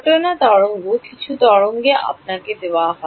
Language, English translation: Bengali, Incident wave is some wave is given to you